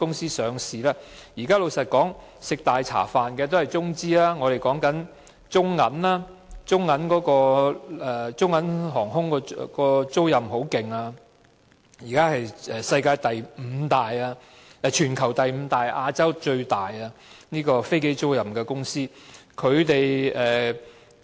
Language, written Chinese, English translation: Cantonese, 老實說，現在吃"大茶飯"的都是中資公司，例如中銀航空租賃的飛機租賃業務蓬勃發展，現時是全球第五大和亞洲最大的飛機租賃公司。, To be honest Chinese - funded enterprises are now making hefty profits; for example the aircraft leasing business of BOC Aviation is booming and it is now the worlds fifth largest and Asias largest aircraft leasing company